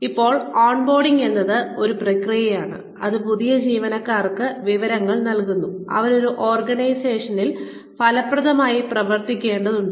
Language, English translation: Malayalam, Now, on boarding is a process, that provides new employees with the information, they need to function effectively in an organization